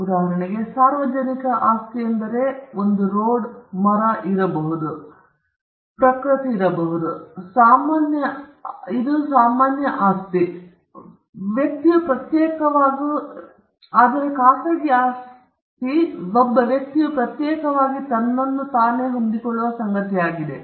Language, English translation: Kannada, For instance, public property is something which is held in common; what you called the commons, and private property is something which a person holds for himself individually